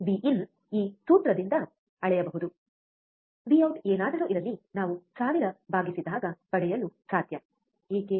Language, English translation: Kannada, We can measure V in by this formula, whatever V out we get divide by thousand, why